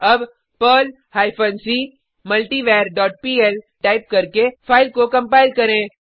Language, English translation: Hindi, Now compile the file by typing perl hyphen c multivar dot pl There is no syntax error